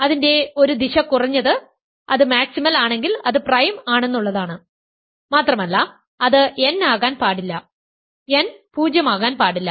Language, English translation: Malayalam, This is now clear because if it is maximal ok so, one direction of it is clear at least if it is maximal then it is prime so, and it cannot be n cannot be 0